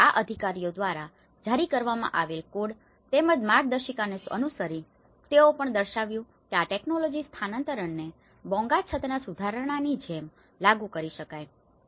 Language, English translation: Gujarati, So, following these codes as well as the guidelines which has been issued by the authorities, so they also demonstrated that how the transfer of this technology can be implemented like the upgradation of the Bonga roof